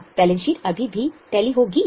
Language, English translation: Hindi, Then will the balance sheet still tally